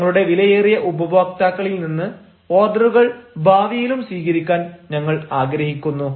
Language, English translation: Malayalam, we look forward to receiving orders from our valuable customers in future